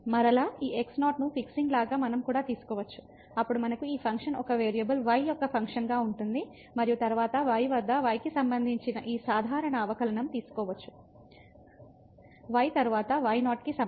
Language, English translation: Telugu, And again, we can also take like fixing this naught, then we have this function as a function of one variable and then we can take this usual derivative with respect to at is equal to later on